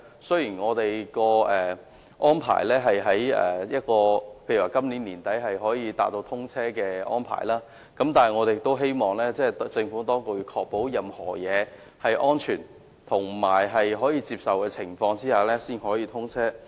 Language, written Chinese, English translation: Cantonese, 雖然大橋預定在今年年底達致通車條件，但我希望政府當局能在確保一切均屬安全及可以接受的情況下，才讓大橋通車。, While HZMB is expected to achieve readiness for commissioning by the end of this year I hope the Administration can ensure that everything is safe and acceptable before allowing the commissioning of HZMB